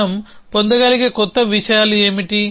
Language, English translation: Telugu, What are the new things we can have